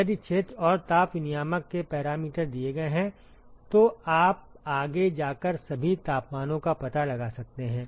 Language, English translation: Hindi, If the area and the parameters of the heat exchanger is given you can go forward and find out all the temperatures